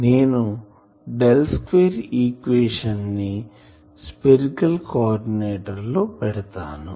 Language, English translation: Telugu, So, I can immediately write the Del square equation in the spherical coordinate